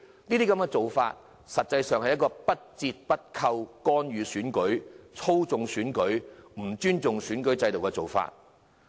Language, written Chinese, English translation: Cantonese, 這些做法實際上是不折不扣的干預、操縱選舉，不尊重選舉制度的做法。, Such attempts are actual interference and manipulation of the election through and through an indication of their disrespect for the electoral system